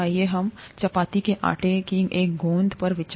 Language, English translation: Hindi, Let us consider a ball of ‘chapati dough’